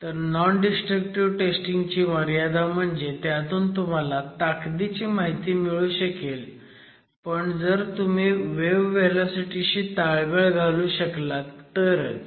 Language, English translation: Marathi, So, important limitations of non destructive testing is that strength information is possible only if you correlate empirically with wave velocity